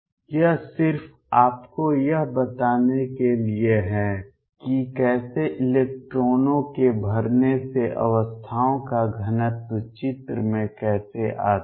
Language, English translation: Hindi, This is just to tell you how the filling of electrons how density of states comes into the picture